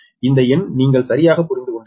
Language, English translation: Tamil, so this numerical you have understood